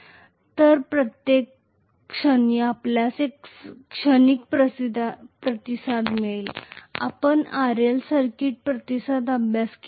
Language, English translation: Marathi, So at every point you are going to have a transient response, you guys have studied RL circuit response